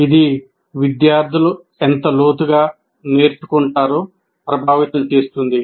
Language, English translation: Telugu, And also it influences how much and how deeply the students learn